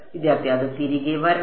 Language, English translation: Malayalam, It should come back